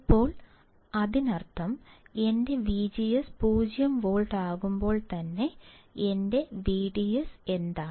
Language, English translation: Malayalam, Now; that means, that when my V G S is 0 volt, what is my V D S